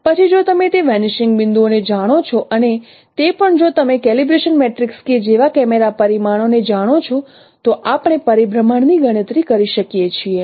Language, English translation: Gujarati, And then if we know these those vanishing points and also if you know the camera parameters like calibration matrix K, then we can compute rotation